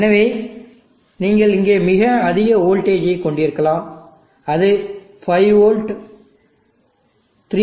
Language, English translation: Tamil, So you may have a very high voltage here and that needs to be converted to 5v, 3